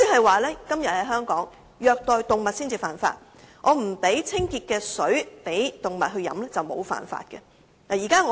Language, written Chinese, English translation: Cantonese, 換言之，現時，在香港虐待動物才算犯法，而不提供清潔的水給動物飲用則不算犯法。, In other words while it is an offence to abuse animal in Hong Kong at present it is not if animals are not provided with clean drinking water